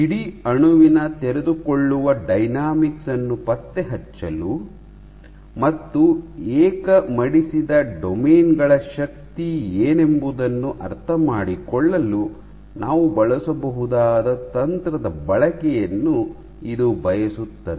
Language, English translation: Kannada, So, this calls for a technique which we can employ for tracking the unfolding dynamics of the whole molecule and understand what is the strength of individual folded domains